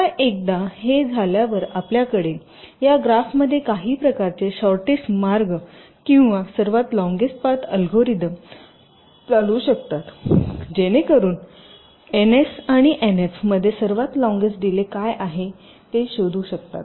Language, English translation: Marathi, now, once you have this, then you can have some kind of a shortest path or the longest path algorithms running through this graph so that you can find out what is the longest delay between n, s and n f, the longest delay